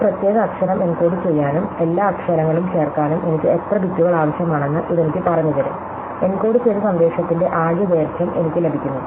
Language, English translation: Malayalam, So, this tells me how many bits I need to encode that particular letter, add up all the letters, I get the total length of the encoded message